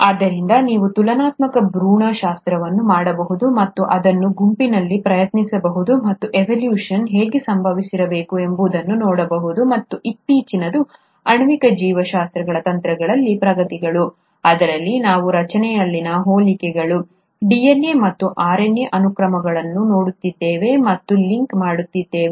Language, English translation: Kannada, So you can do comparative embryology and try it group and see how evolution must have taken place, and the most recent is the advancements in molecular biology techniques wherein we are looking at the similarities in structure, the sequences of DNA and RNA, and are linking it to the process of evolution